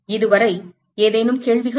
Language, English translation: Tamil, Any questions so far